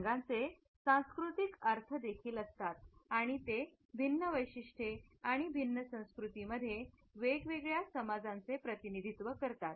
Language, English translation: Marathi, Colors also have cultural meanings and they represent different traits and perceptions in different cultures